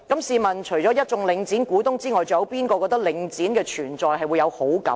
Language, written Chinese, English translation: Cantonese, 試問除了一眾領展的股東外，還有誰會對領展的存在感到高興呢？, Apart from the shareholders of Link REIT I wonder who will be happy with the existence of Link REIT